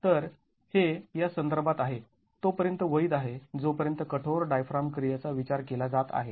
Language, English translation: Marathi, So, this is within the context valid as long as the rigid diaphragm action is being considered